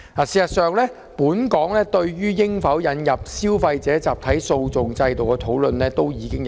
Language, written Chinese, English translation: Cantonese, 事實上，本港對於應否引入消費者集體訴訟機制已經討論多年。, As a matter of fact whether a mechanism for consumer class actions should be introduced in Hong Kong has been discussed for years